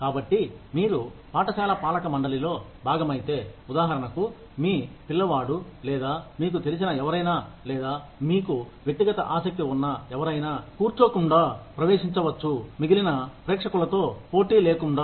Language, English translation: Telugu, So, if you are part of the governing body of the school, for example your child or somebody known to you, or somebody, who you have a personal interest in, could get in, without sitting through, without competing with the rest of the crowd